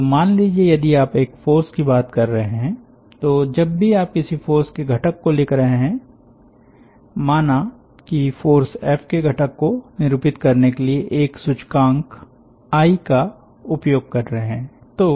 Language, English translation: Hindi, so if you are talking about, say, a force, so whenever you are writing the component of a force, say f is a force, you are using an index i to denote the component of the force